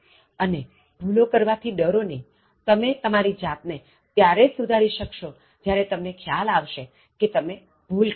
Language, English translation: Gujarati, And do not be afraid of making mistakes, you correct yourself only when you realize that you have made some mistakes